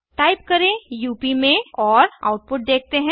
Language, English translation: Hindi, Type in UP and see the output